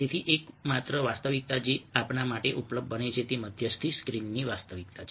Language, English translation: Gujarati, so the only reality that becomes available to us is the reality of mediating screen